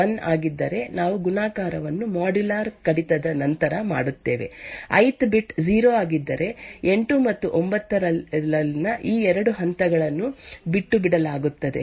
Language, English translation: Kannada, If ith is 1, then we do multiplication followed by modular reduction, if the ith bit is 0 then these 2 steps in 8 and 9 are skipped